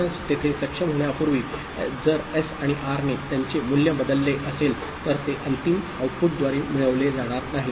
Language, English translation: Marathi, So, in between before the enable was there if S and R had changed their value, it would not be captured by the final output, right